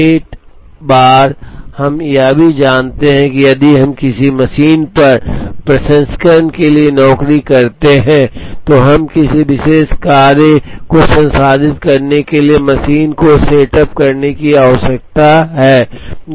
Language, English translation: Hindi, Setup times, we also are aware that, if we take up a job for processing on a machine, then we need to setup the machine to process a particular job